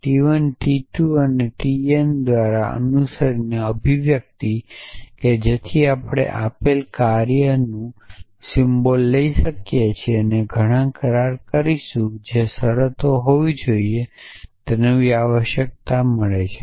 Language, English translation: Gujarati, The expression f n followed by t 1, t 2 t n, so we can take a function symbol of given arity then take that many agreements which must be terms put them together and we get a new term essentially